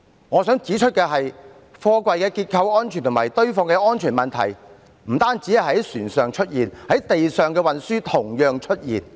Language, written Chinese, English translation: Cantonese, 我想指出的是，貨櫃結構安全及堆放的安全問題不單會在船上出現，陸上運輸亦會同樣出現。, What I wish to point out is that the structural safety of containers and the safety in the stacking of containers are not just an issue for container ships but also an issue in the land transport of containers